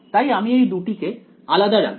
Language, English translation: Bengali, So, we will just keep it separate